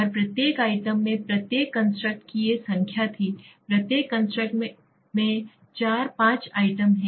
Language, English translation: Hindi, And each item had these number of each constructs each constructs have 4, 5, 4, 4, 5 items